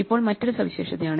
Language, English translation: Malayalam, So here is another example